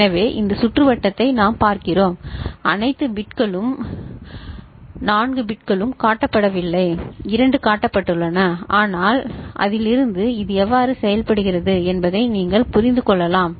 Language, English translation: Tamil, So, we look at this circuit not all 4 bits are shown, two ones are shown, but from that you can understand how it works